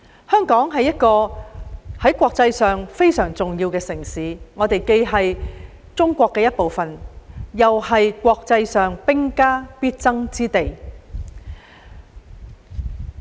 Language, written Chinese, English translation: Cantonese, 香港是國際上一個非常重要的城市，我們既是中國的一部分，又是國際間兵家必爭之地。, Internationally Hong Kong is a very important city because it is not only a part of China but also a place of strategic importance in the international arena